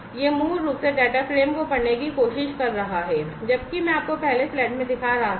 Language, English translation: Hindi, and this is basically you know there is a while loop trying to read the data frame as I was showing you in the slide earlier